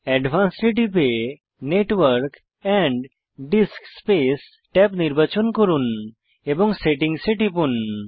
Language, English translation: Bengali, Click on Advanced, select Network and DiskSpace tab and click Settings